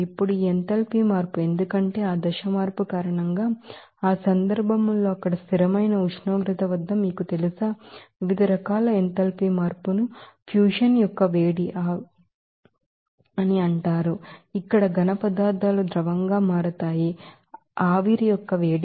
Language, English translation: Telugu, Now, this enthalpy change, because of that phase change will be you know, at constant temperature there in that case, you know, that, there are different types of enthalpy change it is called heat of fusion, where solids will be converting into liquid, heat of vaporization